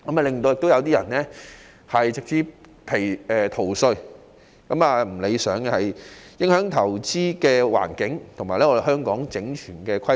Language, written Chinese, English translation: Cantonese, 此外，更有些人利用漏洞直接逃稅，做法並不理想，影響香港的投資環境和整全的規劃。, Moreover some people exploit the loopholes for direct tax evasion which is undesirable and has adverse impacts on Hong Kongs investment environment and comprehensive planning